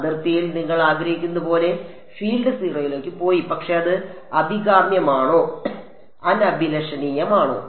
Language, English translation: Malayalam, Field went to 0 like you wanted at the boundary, but is it desirable or undesirable